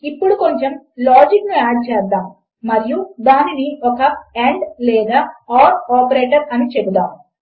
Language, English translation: Telugu, Lets add a bit of logic and say its the and or the horizontal line operator